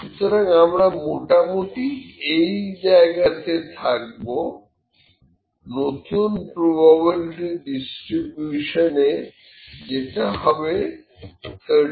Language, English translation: Bengali, So, we will be lying somewhere here in the new probability distribution this is 37